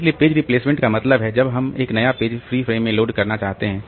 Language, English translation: Hindi, So, page replacement means when we want to load a new page into a free frame